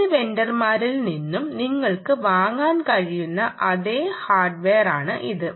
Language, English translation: Malayalam, it is a same hardware that you can buy from any vendor